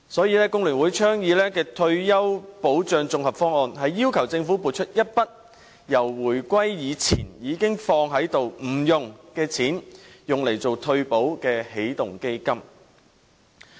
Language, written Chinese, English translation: Cantonese, 因此，工聯會倡議的退休保障綜合方案，要求政府撥出一筆自回歸以前已預留不用的錢，用作退休保障的起動基金。, Hence FTU has put forth a proposal on an integrated retirement protection scheme which requires the Government to set aside a sum a sum reserved before the reunification but has not yet been used so far as the kick - off fund for retirement protection